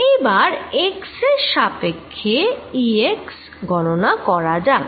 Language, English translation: Bengali, let us now calculate partial of e x with respect x